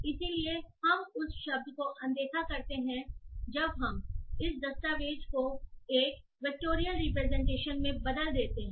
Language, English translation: Hindi, So we ignore that word when we convert this document to a vectorial representation